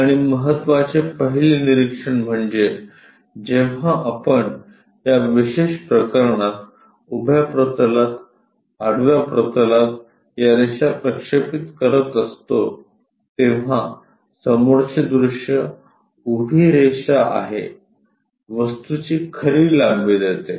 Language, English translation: Marathi, And the first important observation is when we are projecting these lines onto vertical plane horizontal plane in this special case, the front view is a vertical line precisely giving true length of the object